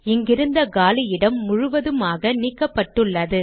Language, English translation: Tamil, The white space that was here has been completely removed